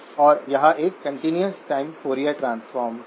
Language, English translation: Hindi, So this is the continuous time Fourier transform